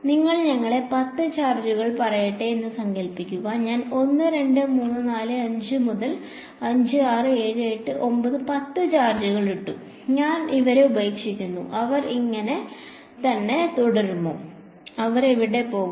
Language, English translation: Malayalam, Imagine you have let us say 10 charges, I put 1 2 3 4 5 6 7 8 9 10 charges and I leave them, will they stay like that, what will where will they go